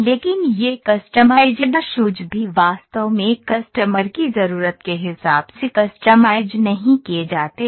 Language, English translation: Hindi, But these customized shoes are also not truly customized to the customer requirement